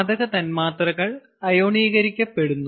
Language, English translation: Malayalam, the gas molecules become ionized